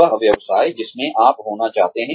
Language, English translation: Hindi, The business, you would like to be in